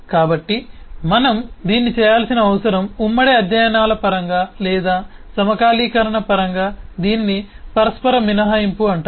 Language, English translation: Telugu, so what we need to do this is known as, in terms of concurrency studies, or, in terms synchronization, this is known as mutual exclusion